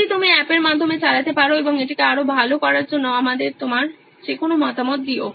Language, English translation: Bengali, If you can run through the app and give us any feedback in terms of making this even more better